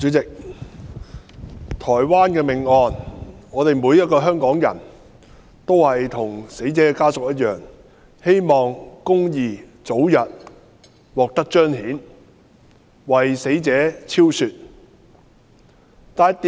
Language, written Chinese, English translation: Cantonese, 主席，對於台灣命案，每個香港人也與死者家屬一樣，希望公義早日獲得彰顯，令死者沉冤得雪。, President speaking of the murder case in Taiwan everyone in Hong Kong feels as sad as the victims family and hopes that justice will soon be done to the victim